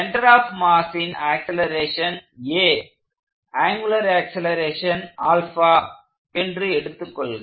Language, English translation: Tamil, So, let say the acceleration of the mass center is a, and the angular acceleration is alpha